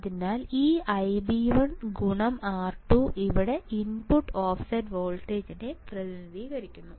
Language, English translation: Malayalam, So, this I b 1 into R 2 represents here input offset voltage it represent here input offset voltage, right